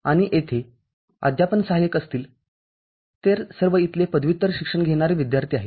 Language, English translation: Marathi, And there will be teaching assistants, all of them are PG students over here